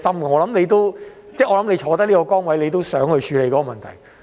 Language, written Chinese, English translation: Cantonese, 我想他身處這個崗位，也想處理這個問題。, In my view he wants to solve the problem given his current position